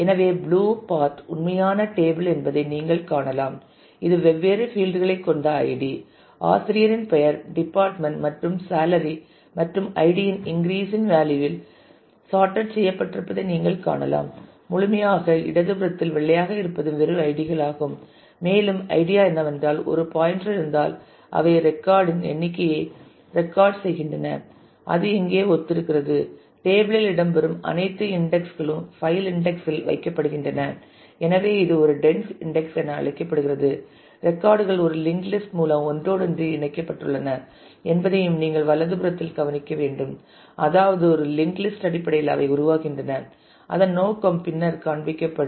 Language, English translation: Tamil, So, you can see the blue part is actual table which has different fields the id the name of the faculty, the department, and the salary and this is as you can see that it is completely sorted on the id in the increasing value of id and on the left the white is basically just the ids and with every idea we have a pointer they record the number possibly of the record that it corresponds to here all the indices that feature in the table are also put on the index file and therefore, it is called a dense index you should also note on the right that the records are interlinked through a chain I mean kind of they are being formed in terms of a linked list whose purpose would be seen later on